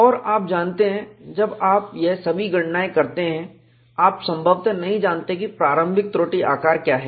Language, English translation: Hindi, And you know, when you do all these calculations, you may not know what is a initial flaw size